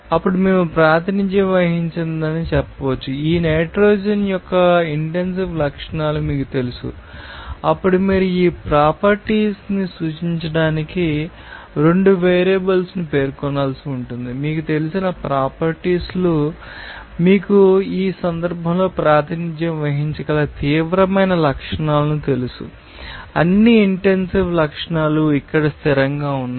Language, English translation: Telugu, Then we can say that to represent says you know that intensive properties of this nitrogen then you have to specify two variables to represent this property that you know that arbitrary to you know intense properties you can represent in this case, all the intensive properties are here fixed